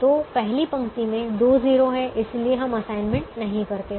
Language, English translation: Hindi, so the first row has two zeros, so we don't make an assignment